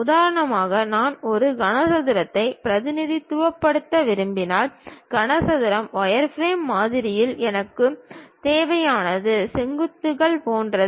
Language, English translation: Tamil, For example, if I want to represent a cube, cuboid; in the wireframe model what I require is something like vertices